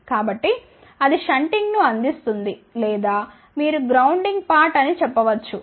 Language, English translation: Telugu, So, that will provide the shunting or you can say the grounding part